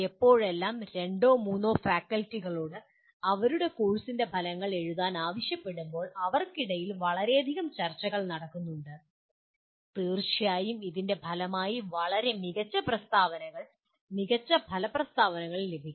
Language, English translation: Malayalam, Always whenever the two or three faculty are requested to write the outcomes of their course, there has been a tremendous amount of discussion among them and certainly as a result of that a much better statements, much better outcome statements will result